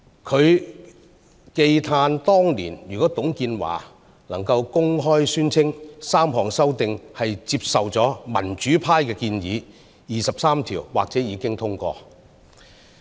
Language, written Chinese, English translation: Cantonese, 他慨歎當年若董建華能公開宣稱 ，3 項修訂是接受了民主派建議，二十三條或已經通過。, He regretted that if TUNG Chee - hwa had openly declared that the three amendments were made by accepting the proposals of the Democratic Party Article 23 might have been passed